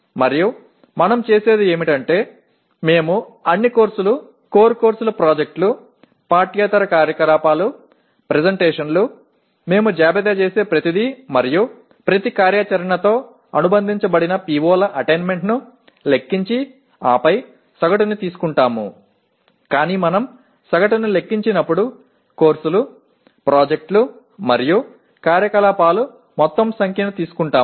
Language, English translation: Telugu, And what we do is we list all the courses, core courses, projects, extra curricular activities, presentations everything we list and compute the attainment of POs associated with each activity and then take average but when we compute average we take the total number of courses, projects and activities